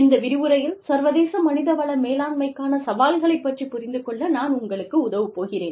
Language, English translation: Tamil, And today, specifically in this lecture, i will be helping you understand, the Challenges to International Human Resource Management